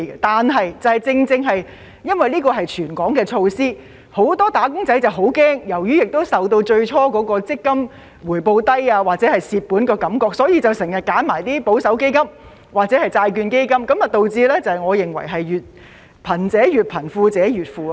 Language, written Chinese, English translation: Cantonese, 但是，正正因為這是全港的措施，很多"打工仔"十分害怕，亦受到最初強積金回報低或虧本的感覺所影響，所以經常揀選一些保守基金或債券基金，導致我認為是"貧者越貧，富者越富"的情況。, However as this is a territory - wide measure many wage - earners often choose conservative funds or bond funds because they are worried and influenced by the initial impression of MPF as having low returns or suffering losses . This has led to what I think a situation of the rich getting richer and the poor getting poorer